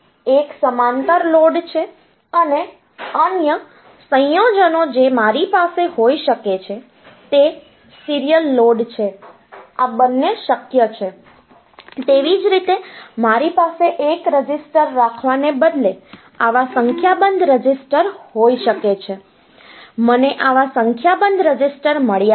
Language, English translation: Gujarati, So, one is the parallel load and other combinations that I can have is a serial load, both are possible; similarly I can happen that I have got a number of such register instead of having a single register, I have got a number of such register